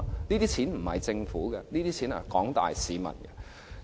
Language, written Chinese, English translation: Cantonese, 這些錢不是政府的，是廣大市民的。, The money does not belong to the Government but to the people